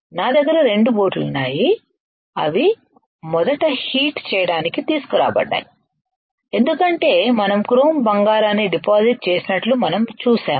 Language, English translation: Telugu, I have 2 boats which brought to hit first because you see we have seen that we have deposited chrome gold